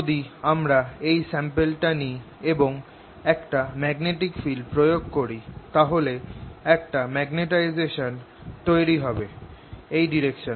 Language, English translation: Bengali, so if i take this sample, apply a magnetic field, it'll develop a magnetization in that direction